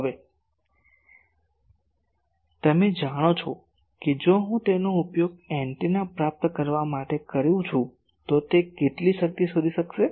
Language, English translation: Gujarati, Now, you know that if I use it as receiving antenna, how much power it will be able to find out